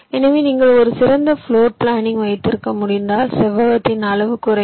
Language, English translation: Tamil, so if you can have a better floor plan, your that size of the rectangle will reduce